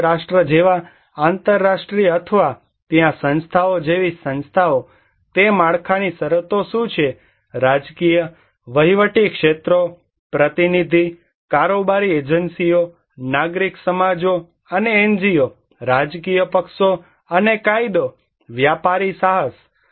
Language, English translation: Gujarati, International like United Nations or institutions like what are the institutions there, what are the conditions of that structure, political, administrative sectors, representative, executive agencies, civil societies and NGOs, political parties and law, commercial enterprise